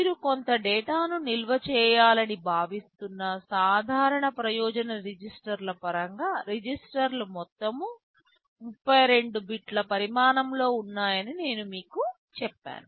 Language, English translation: Telugu, In terms of the general purpose registers where you are expected to store some data, I told you the registers are all 32 bits in size